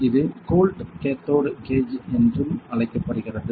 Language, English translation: Tamil, It is called the cold cathode gauge also